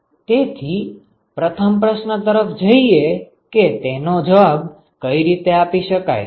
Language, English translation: Gujarati, So, let us look at the first question how to answer the first question